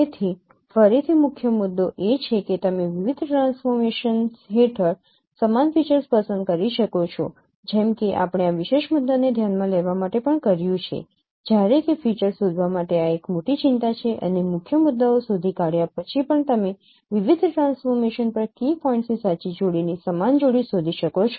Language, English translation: Gujarati, So again the main issue is that can you select the same features under various transformations as we did also for considered this particular issue while detecting features this is the major concern and even after detecting the key points can we detect the same pair of no two pairs of key points on various transformation